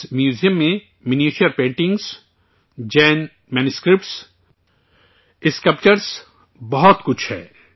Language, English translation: Urdu, This museum has miniature paintings, Jaina manuscripts, sculptures …many more